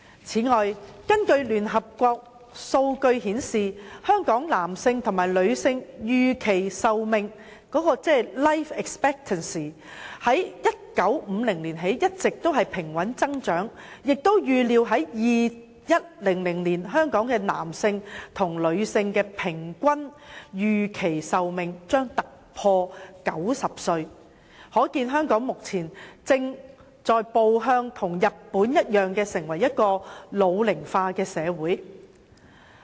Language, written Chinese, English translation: Cantonese, 此外，根據聯合國數據顯示，香港男性和女性的預期壽命自1950年起一直平穩增長，並預料將於2100年突破平均90歲的水平，可見香港目前正在步日本的後塵，成為一個老齡化社會。, By then it is estimated that there will be one elderly person in every three people . Moreover figures of the United Nations reveal that the life expectancies for men and women in Hong Kong have been increasing steadily since 1950 and are expected to exceed 90 years on average in 2100 . It can thus be seen that Hong Kong is following the footstep of Japan to become an ageing society